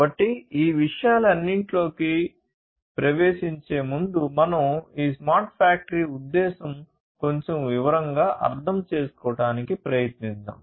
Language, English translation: Telugu, So, let us before getting into all of these things let us first try to understand this smart factory concept in little bit more detail